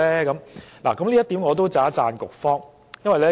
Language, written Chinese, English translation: Cantonese, 就此，我要稱讚局方。, On this point I have to praise the Bureau